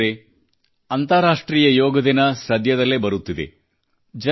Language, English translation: Kannada, 'International Yoga Day' is arriving soon